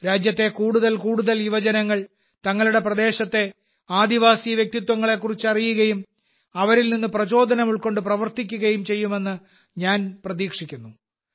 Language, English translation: Malayalam, I hope that more and more youth of the country will know about the tribal personalities of their region and derive inspiration from them